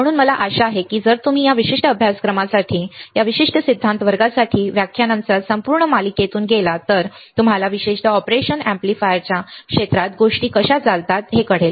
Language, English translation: Marathi, So, I hope that if you go through the entire series of lectures for this particular course, for this particular theory class then you will know how the how the things works particularly in the area of operational amplifiers